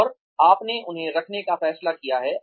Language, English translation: Hindi, And, you have decided to keep them